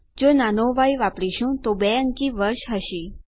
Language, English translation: Gujarati, If we use a small y, it would be a 2 digit year